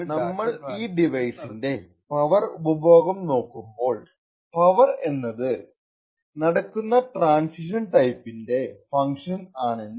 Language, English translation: Malayalam, So, therefore when we actually look at the power consumed by this device, we would see that the power would be a function of the type of transitions that happen